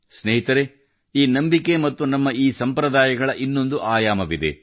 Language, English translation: Kannada, Friends, there is yet another facet to this faith and these traditions of ours